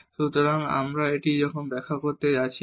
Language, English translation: Bengali, So, in I am not going to explain this now